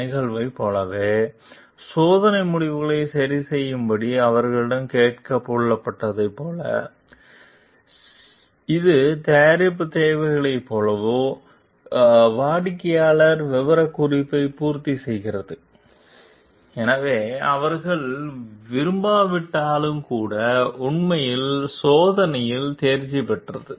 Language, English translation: Tamil, Like event, like they were asked to adjust test results so that they it meets, like the product needs the customer specification so, even if they have not like actually passed the test